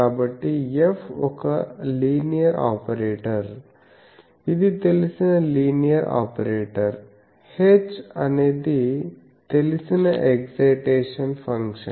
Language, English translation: Telugu, So, F is a linear operator it is a known linear operator, h is a known excitation function